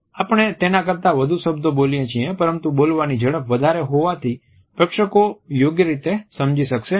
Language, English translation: Gujarati, We speak more words than this then the speech would become too fast and the audience would not be able to comprehend properly